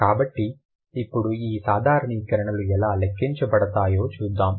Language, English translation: Telugu, So, now let's see how these generalizations are accounted for